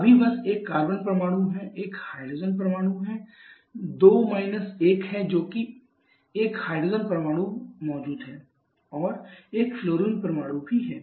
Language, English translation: Hindi, There is just one carbon now there is hydrogen 2 1 that is 1 hydrogen is present and there is one fluorine also